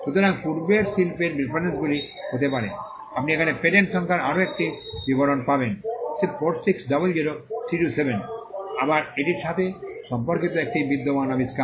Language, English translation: Bengali, So, prior art references can be, you find another description to a patent number here 4600327, again an existing invention which is related to this